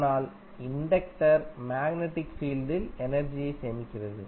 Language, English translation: Tamil, But the inductor store energy in the magnetic field